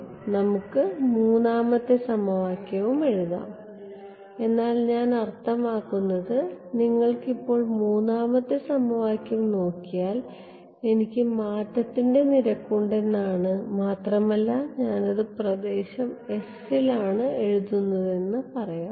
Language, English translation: Malayalam, Now we could also write the third equation, but I mean you will got the basic idea for now if I look at the third equation I have rate of change let us say I am writing it for the region s